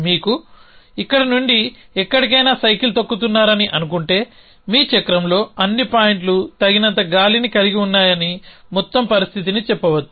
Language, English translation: Telugu, So, supposing you are cycling from here to some place then the overall condition could be said that all points your cycle has enough air